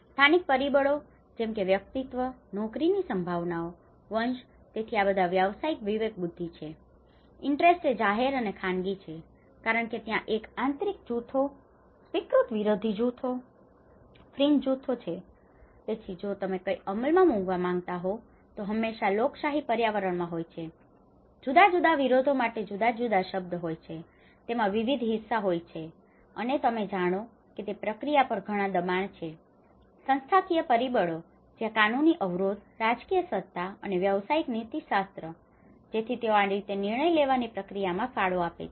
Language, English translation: Gujarati, The local factors viz, personalities, job prospects, descent so these all the professional discretion and the interest, public and private because there is an internalised groups, accepted opposition groups, fringe groups so if you want to implement something it is always in a democratic environment, different oppositions have a different word, different stake in it and there is lot of pressures on the process you know and the institutional factors where the legal constraints, political authority and also the professional ethics so how also they have contributed in the decision making process